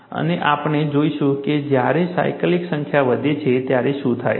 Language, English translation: Gujarati, And we will see what happens, when the number of cycles is increased